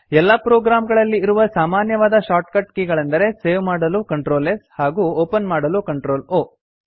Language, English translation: Kannada, The common shortcut keys in any program are Ctrl+S for saving and Ctrl+O for opening